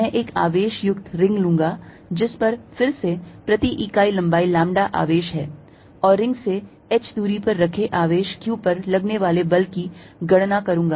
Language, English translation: Hindi, I am going to take a ring of charge, again having lambda charge per unit length and calculate force on a charge q kept at a distance h from the ring